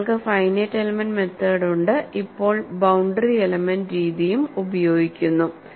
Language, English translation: Malayalam, Then, you have finite element method and now boundary element method is also being used